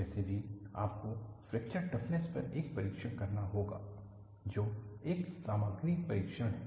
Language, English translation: Hindi, Anyway, you will have to do a test on fracture toughness that is a material test